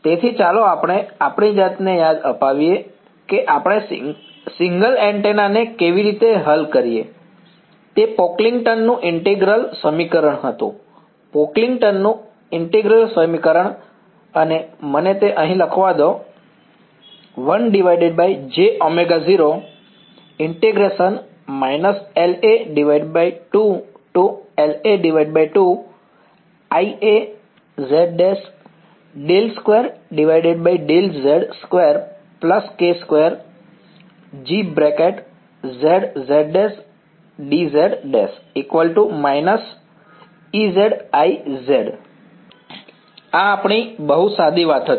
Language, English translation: Gujarati, So, let us remind ourselves, how did we solve single antenna; it was the Pocklington’s integral equation right; Pocklington’s integral equation and let me just write it down over here so, minus L A by 2 to L A by 2